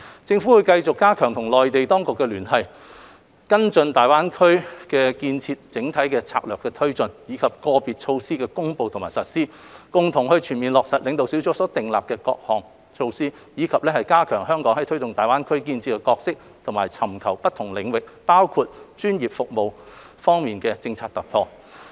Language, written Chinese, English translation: Cantonese, 政府會繼續加強與內地當局的聯繫，跟進大灣區建設整體政策的推進，以至個別措施的公布和實施，共同全面落實領導小組所訂立的各項措施，以及加強香港在推動大灣區建設的角色和尋求不同領域，包括專業服務方面的政策突破。, The Government will keep strengthening ties with the Mainland Authorities to follow up on the taking forward of the overall policy on the development of GBA as well as the announcement and implementation of individual initiatives with a view to fully implementing the various policy initiatives drawn up by the Leading Group and to enhance Hong Kongs role in promoting the development of GBA and seeking policy breakthroughs in different areas including professional services